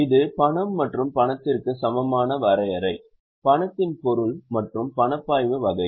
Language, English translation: Tamil, This is the definition of cash and cash equivalent, the meaning of cash, then the types of cash flows